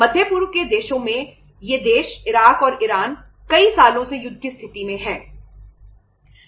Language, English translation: Hindi, In the Middle East countries these countries have been into the state of war, Iraq and Iran for many years